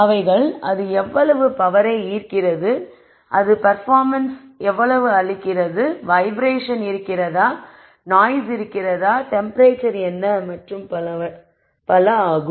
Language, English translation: Tamil, How much power it draws, how much performance does it give, is there vibration, is there noise, what is the temperature and so on